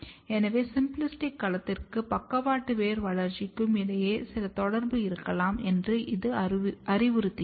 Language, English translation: Tamil, So, this suggests that there might be some correlation between Symplastic domain and lateral root development